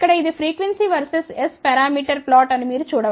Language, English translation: Telugu, You can see that here this is the frequency versus s parameter plot here